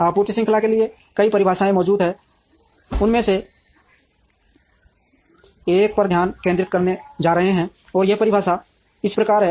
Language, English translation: Hindi, Several definitions for supply chain exist, one of them we are going to concentrate on, and this definition is as follows